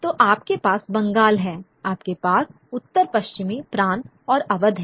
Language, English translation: Hindi, So, you have Bengal, you have the northwestern provinces in Auv